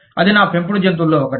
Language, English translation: Telugu, That is one of my pet peeves